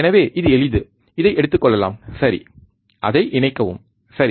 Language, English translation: Tamil, So, it is easier take this one, ok, connect it, alright